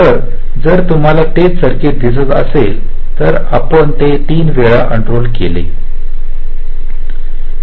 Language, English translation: Marathi, so here, if you see that same circuit, we have unrolled it three times